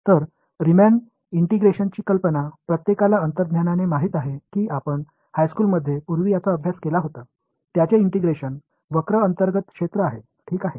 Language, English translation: Marathi, So, everyone knows intuitively the idea of Riemann integration that you studied earlier in high school probably, its integration is area under the curve right